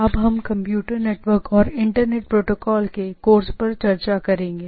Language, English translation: Hindi, So, we will be discussing on the course on Computer Networks and Internet Protocol